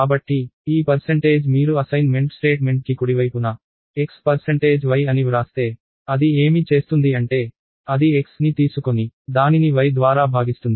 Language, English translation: Telugu, So, this percentage if you write x percentage y (x%y) on the right hand side of assignment statement, what it will do is, it will take x and divide it by y